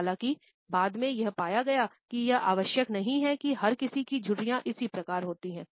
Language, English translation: Hindi, Later on, however, it was found that it is not necessary that everybody has the similar type of wrinkles